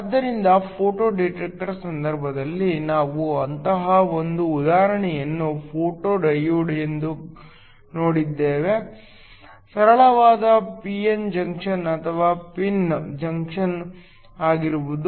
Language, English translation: Kannada, So, in the case of a photo detector we saw that one such example was a photodiode, could be a simple p n junction or a pin junction